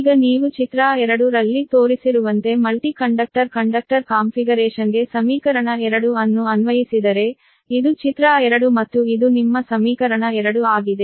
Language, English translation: Kannada, now, if you apply equation two to the multi conductor configuration as shown in figure two, this is figure two and this is your, this is the, your equation two, right